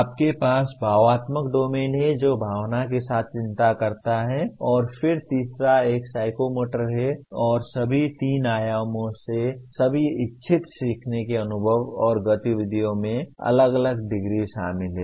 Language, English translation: Hindi, You have affective domain which concerns with the emotion and then third one is psychomotor and all three dimensions are involved to varying degrees in all intended learning experiences and activities